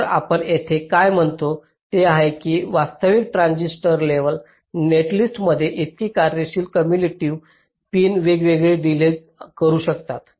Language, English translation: Marathi, so, uh, here what we are saying is that in actual transistor level, netlist, the commutative pins which are so functionally can have different delays